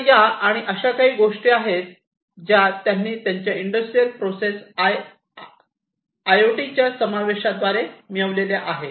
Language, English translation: Marathi, So, these are some of these things that they have achieved through the incorporation of IoT in their industrial processes, so enhanced ecosystem